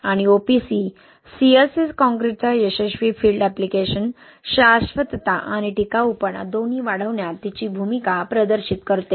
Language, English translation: Marathi, And successful field application of the OPC CSA concrete demonstrates its role in enhancing both sustainability and durability, right